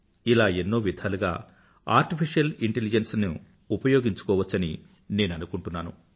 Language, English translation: Telugu, I feel we can harness Artificial Intelligence in many such fields